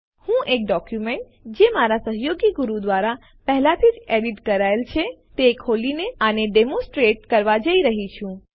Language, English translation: Gujarati, I am going to demonstrate this by opening a document, which has already been edited by my colleague Guru